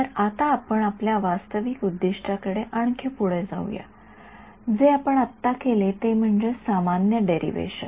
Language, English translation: Marathi, So, now, proceeding further towards our actual objective, what we did right now was the general derivation